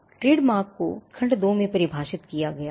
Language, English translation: Hindi, Trademark is defined in section 2